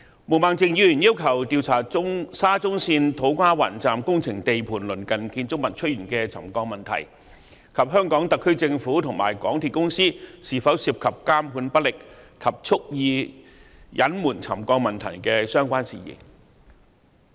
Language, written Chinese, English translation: Cantonese, 毛孟靜議員要求調查沙田至中環線土瓜灣站工程地盤鄰近建築物出現沉降的問題，以及特區政府和香港鐵路有限公司是否涉及監管不力和蓄意隱瞞沉降問題的相關事宜。, Ms Claudia MO requested that an inquiry be conducted into the incident of serious settlement of buildings near the construction site of To Kwa Wan Station of the Shatin to Central Link SCL and whether the incident involved ineffective monitoring by the Hong Kong Special Administrative Region SAR Government and the MTR Corporation Limited MTRCL and their deliberate concealment of the land settlement problem and other related matters